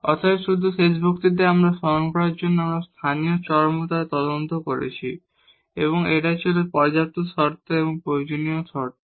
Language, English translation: Bengali, So, just to recall in the last lecture, we have investigated the local extrema and that was the sufficient conditions and necessary conditions